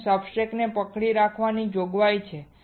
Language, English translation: Gujarati, There is a provision for holding your substrates